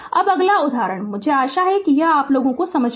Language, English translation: Hindi, Now, next example I hope you are understanding this I hope you are understanding this